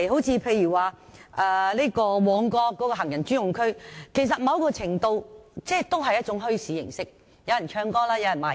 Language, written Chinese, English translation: Cantonese, 此外，以旺角行人專用區為例，該處某程度上也屬於墟市，有人唱歌、擺賣。, Take the Mong Kok pedestrian precinct as another example . The place could be regarded as a bazaar to a certain extent . Some people sang while others hawked their goods